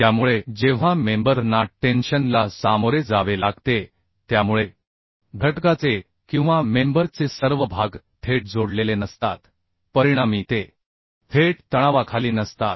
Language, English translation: Marathi, So when the members are subjected to tension, so all the portions of the element or the member are not directly connected as a as a result are not directly, are not directly under tension